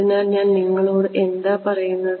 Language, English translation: Malayalam, So, what does that tell you